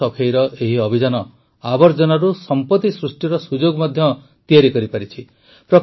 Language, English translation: Odia, This campaign of cleaning the river has also made an opportunity for wealth creation from waste